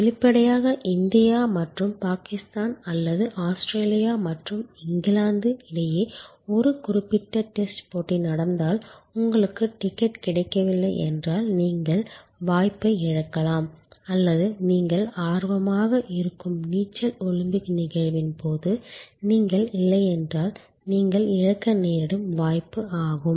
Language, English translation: Tamil, And obviously, if a particular test match happen between India and Pakistan or Australia and England and you could not get a ticket then you loss the opportunity or if you are not present during the Olympics event of swimming which you are interested in, you loss the opportunity